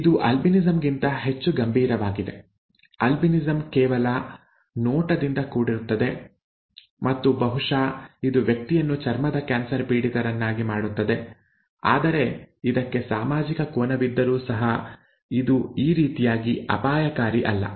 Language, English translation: Kannada, This is more serious than albinism, albinism is merely looks and maybe it it makes the person prone to cancer and so on, skin cancer but it is not as dangerous as this, okay, but it has a social angle to it so that could also be considered in point putting off